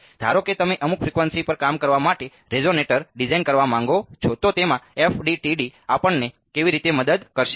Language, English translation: Gujarati, Now, supposing you want to design a resonator to work at some frequency how will FDTD will help us in that